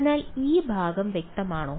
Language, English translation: Malayalam, So, is this part is clear